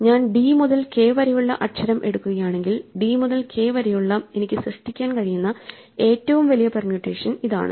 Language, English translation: Malayalam, So, if I fix the letter from d to k then this the largest permutation I can generate with d to k fixed